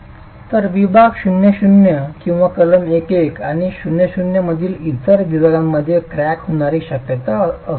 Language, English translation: Marathi, So section 0 or other sections between section 11 and the 0 0 should possibly have a situation of cracking